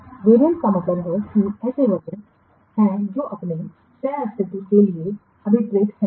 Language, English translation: Hindi, Variants means they are the versions that are intended to coexist